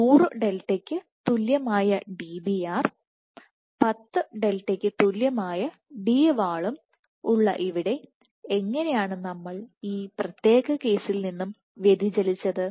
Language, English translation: Malayalam, Where Dbr equal to 100 delta and Dwall equal to 10 delta how did we deviate from this particular case